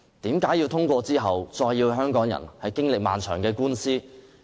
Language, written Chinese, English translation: Cantonese, 為何要通過法例令香港經歷漫長的官司？, Why should we pass a law that may give rise to continuous litigation in Hong Kong?